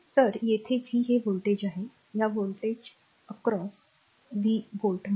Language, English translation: Marathi, So, across this is voltage is say ah say v v volt